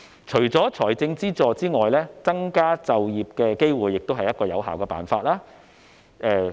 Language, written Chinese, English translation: Cantonese, 除了財政資助外，增加就業機會亦是有效的辦法。, Apart from financial assistance creating employment opportunities is also an effective way